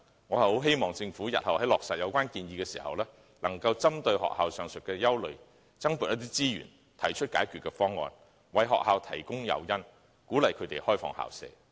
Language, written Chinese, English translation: Cantonese, 我希望政府日後落實有關建議時，能針對學校的上述憂慮，增撥資源，提出解決方案，為學校提供誘因，鼓勵它們開放校舍。, I hope the Government can in implementing the relevant proposal in future address the aforesaid concerns expressed by schools earmark additional resources propose solutions and provide incentives to encourage the schools to open up their premises